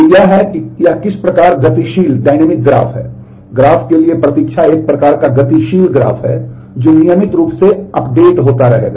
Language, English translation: Hindi, So, this is how this is kind of a dynamic graph the wait for graph is a kind of dynamic graph which will regularly keep getting updated